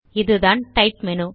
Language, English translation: Tamil, This is the Type menu